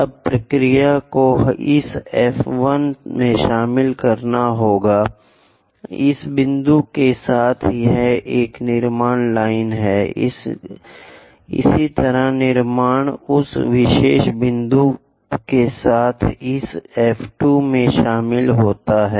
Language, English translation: Hindi, Now, the procedure is join this F 1 with that point it is a construction line; similarly, construct join this F 2 with that particular point